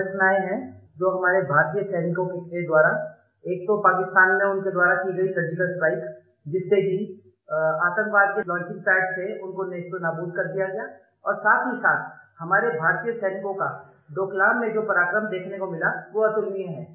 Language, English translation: Hindi, Two actions taken by our Indian soldiers deserve a special mention one was the Surgical Strike carried out in Pakistan which destroyed launching pads of terrorists and the second was the unique valour displayed by Indian soldiers in Doklam